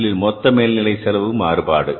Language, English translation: Tamil, First one is a total overhead cost variance